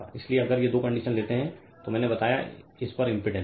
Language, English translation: Hindi, So, if if this this two conditions hold therefore, the corresponding impedance I told you